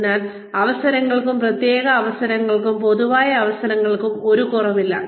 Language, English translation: Malayalam, So, there is no dearth of opportunity, of specialized opportunities, of general opportunities